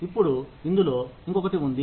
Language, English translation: Telugu, Now, there is something else in this